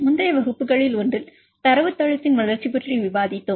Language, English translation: Tamil, In one of the earlier classes we discussed about the development of database